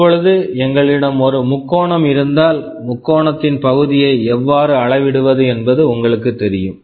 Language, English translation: Tamil, Now, if we have a triangle you know how to measure the area of the triangle